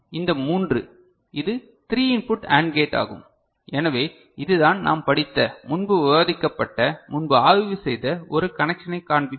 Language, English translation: Tamil, So, these three, so this is a three input AND gate, so this is the way also we can you know show a connection which we studied, discussed before, studied before ok